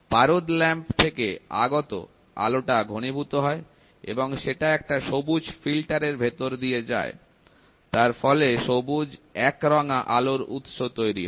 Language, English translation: Bengali, The light from the mercury lamp is condensed and passed through a green filter, resulting in the green monochromatic light source